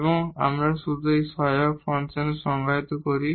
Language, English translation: Bengali, And we just define in an auxiliary function